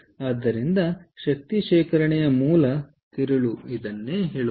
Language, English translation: Kannada, so this is what is the basic crux of energy storage